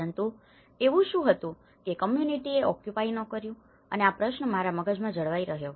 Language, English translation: Gujarati, But what made the communities not to occupy and this question have rooted in my mind